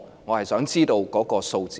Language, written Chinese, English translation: Cantonese, 我想知道數字。, I wish to know the numbers